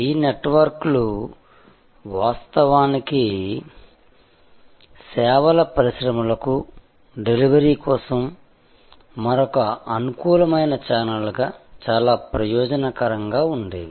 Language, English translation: Telugu, These networks originally were very beneficial to services industries as another very convenient channel for delivery